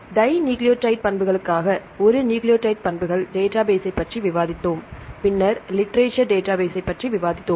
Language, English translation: Tamil, So, for the dinucleotide properties, we discussed about a nucleotide properties database then we discussed about the literature databases right